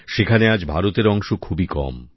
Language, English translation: Bengali, Today India's share is miniscule